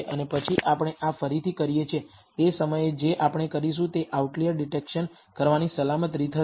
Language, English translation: Gujarati, And then we redo this so, that one at a time we do it will be a safe way of performing outlier detection